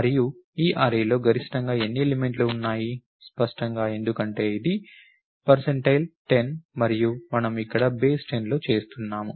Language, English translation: Telugu, And this array has how many elements can it have maximum, clearly because this is percent 10 and we are doing in base 10 over here